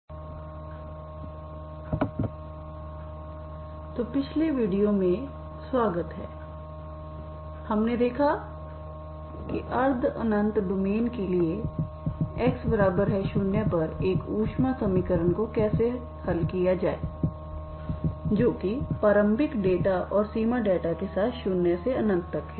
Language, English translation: Hindi, So welcome back in the last video we have seen how to the solve a heat equation for semi infinite domain that is from 0 to infinity with the initial data and boundary data at x equal to 0